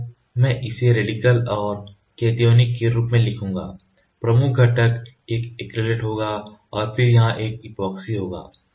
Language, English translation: Hindi, So, I will write to put it as radical and cationic, the major components it will be acrylate and then here it will be epoxy